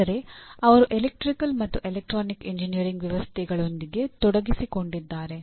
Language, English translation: Kannada, But they are involved with electrical and electronic engineering systems